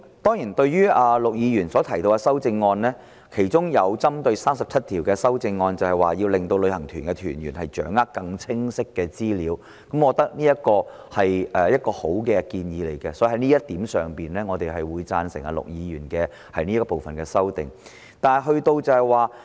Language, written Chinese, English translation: Cantonese, 對於陸頌雄議員提出的修正案，其中一項針對第37條，要令旅行團團員掌握更清晰的資料，我覺得這是一個很好的建議，所以我們會贊成陸議員就這部分提出的修正。, Amongst the amendments proposed by Mr LUK Chung - hung one of which is to amend clause 37 to allow participants of tour groups to take hold of more specific information . I think it is a very good proposal so we will support Mr LUKs amendment in this area